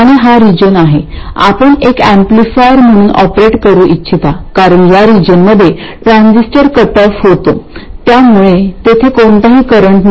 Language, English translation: Marathi, And this is the region you would like to operate as an amplifier because if you look at this other region, first of all the first region where the transistor is cut off this is useless